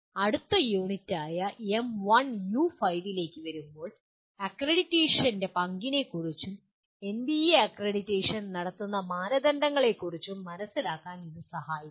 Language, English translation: Malayalam, Coming to the next unit, M1U5 which will attempt to facilitate understanding of the role of accreditation and the criteria according to which NBA conducts accreditation